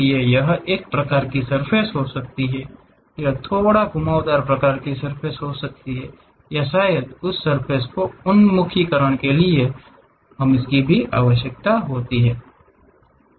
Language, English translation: Hindi, It might be a planar kind of surfaces, it might be slightly curved kind of surfaces or perhaps the orientation of that surface also we require